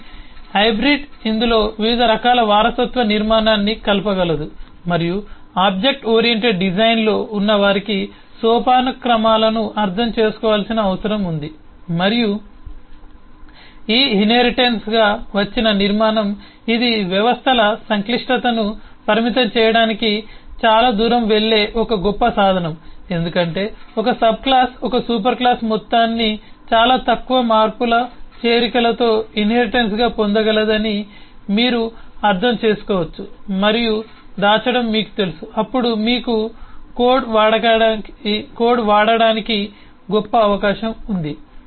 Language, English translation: Telugu, so hybrid could mix up different kinds of inheritance structure in this, and the reason in object oriented design some on needs to understand the hierarchies and inherited structure is this is one great tool which go a long way to restrict complexity of systems because, as you can understand that once a subclass can inherit a whole of a superclass with very minimal changes, additions and you know hiding, then you have a great opportunity for use of code